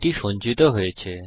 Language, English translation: Bengali, so it can be used